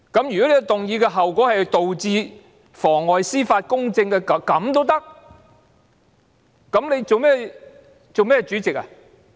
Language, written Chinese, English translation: Cantonese, 如果提出議案的後果是妨礙司法公正，那你還當甚麼主席呢？, If the consequence of proposing the motion is perverting the course of justice how can you still serve as President?